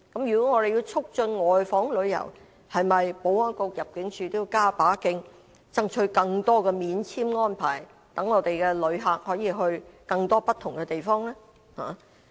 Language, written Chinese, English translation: Cantonese, 如果我們要促進外訪旅遊，保安局和入境處應否加把勁，爭取更多免簽安排，讓我們的旅客可以到更多不同的地方？, If we want to promote outbound tourism shouldnt the Security Bureau work harder in obtaining more visa - free arrangements for Hong Kong people to visit more places?